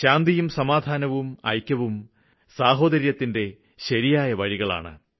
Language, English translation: Malayalam, Peace, unity and brotherhood is the right way forward